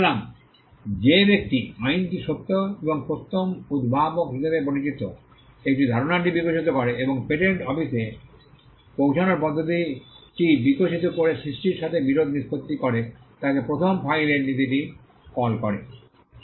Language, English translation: Bengali, So, the person who law settles dispute with regard to creation by evolving a concept called true and first inventor and evolving a method of approaching the patent office call the first file principle